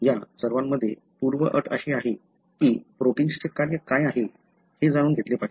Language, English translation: Marathi, So, in all these, the prerequisite is that, you should know what is the function of the protein